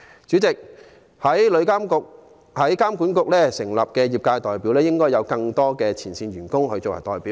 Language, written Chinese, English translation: Cantonese, 有關旅監局成員的業界代表方面，我們認為應加入更多前線員工作為代表。, As for the composition of TIA we think there should be more frontline staff among the trade members in TIA